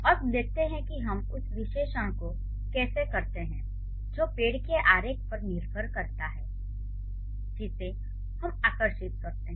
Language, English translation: Hindi, Now let's see how do we do the analysis and how do we do the analysis that depends on the tree diagram that we draw, right